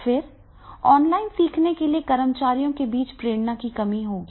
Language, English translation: Hindi, Then there will be a lack of motivation among employees to learn online